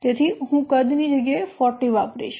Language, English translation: Gujarati, So I will use the in place of size 40